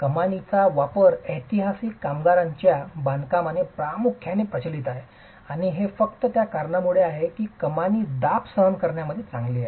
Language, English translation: Marathi, The use of arches is predominant, prevalent in historic masonry constructions and that is simply because an arch is known to be good in compression